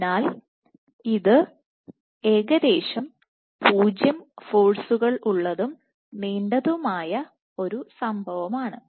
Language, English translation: Malayalam, So, this is almost 0 forces and a long thing